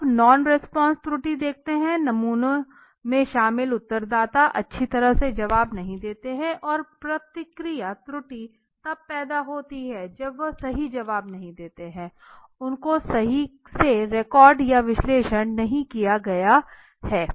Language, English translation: Hindi, And now let see just bit the non response error the respondents included in the sample do not respond well okay and the response error arises when they give you inaccurate answers right there are misrecorded or misanalyzed okay